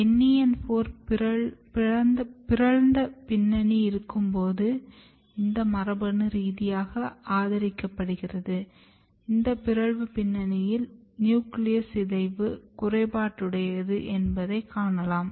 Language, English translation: Tamil, And this is supported genetically when you have nen4 mutant background you can see that nucleus degradation is defective in this mutant background